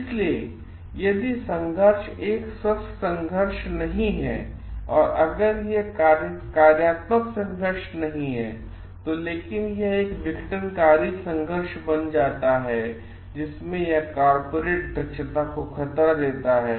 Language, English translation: Hindi, So, if the conflict is not an healthy conflict, if it is not a functional conflict, but it becomes a disfunctional conflict in which that it threatens the corporate efficiency